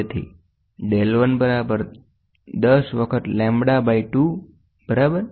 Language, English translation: Gujarati, So, del 1 equal to 10 times lambda by 2, ok